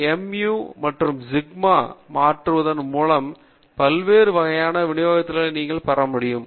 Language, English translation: Tamil, Now, depending upon the value of mu and sigma squared you can have infinite number of distributions